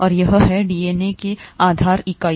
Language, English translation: Hindi, And this is the base unit for DNA